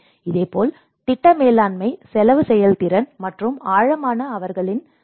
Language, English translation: Tamil, And similarly the project management works at cost effectiveness and financial advice on depth servicing